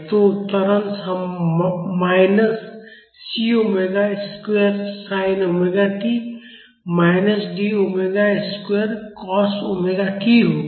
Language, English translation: Hindi, So, the acceleration would be minus C omega square sin omega t minus D omega square cos omega t